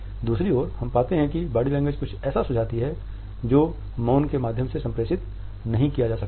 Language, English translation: Hindi, On the other hand, we find that the body language suggests something which is not being communicated through the silence